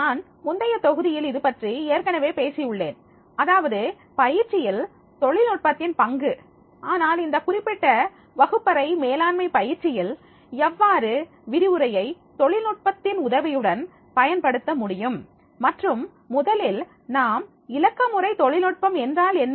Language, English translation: Tamil, I have already talked about the in earlier my module, the role of technology in training but this is a specific related to the classroom management training and how to make the use of the lecture through the help of technology and, so we first have to understand what is the digital technology